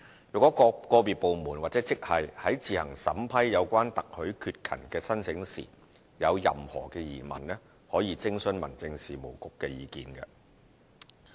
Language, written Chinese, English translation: Cantonese, 如果個別部門或職系在自行審批有關特許缺勤的申請時有任何疑問，可以徵詢民政事務局的意見。, They may seek the Home Affairs Bureaus advice should they have any questions in processing applications for such authorized absence